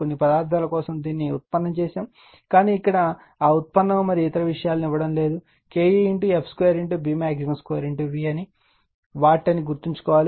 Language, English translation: Telugu, For some material, it can be derived, but here this is your what to call we are not giving that derivation and other thing, just you keep it in your mind that K e is the f square B max square into V watt